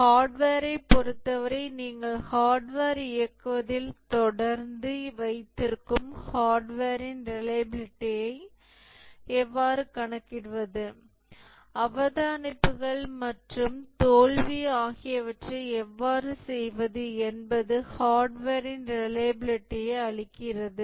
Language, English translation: Tamil, How to compute the reliability of hardware, you keep on operating the hardware, make observations on the failure, and that gives the reliability of the hardware